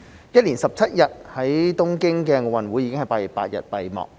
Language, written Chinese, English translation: Cantonese, 一連17日的東京奧運已在8月8日閉幕。, The Tokyo Olympics which lasted for 17 days came to an end on 8 August